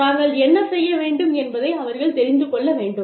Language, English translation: Tamil, They need to know, what they are supposed to do